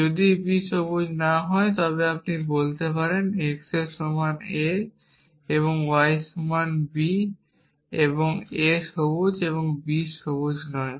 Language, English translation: Bengali, If b is not green then you can say x is equal to a and y is equal to b and a is green and b is not green